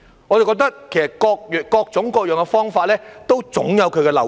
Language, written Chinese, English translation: Cantonese, 我認為各種各樣的方法都總有漏洞。, I think there are always loopholes in every method